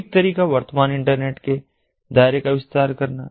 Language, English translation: Hindi, one way is to expend the scope of the current internet